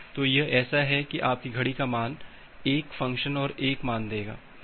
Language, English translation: Hindi, So, it is like that your clock value will give 1 one function 1 value